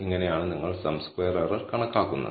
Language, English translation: Malayalam, So, this is how you would compute the sum squared error